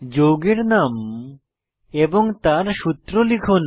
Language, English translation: Bengali, Lets enter name of the compound and its formula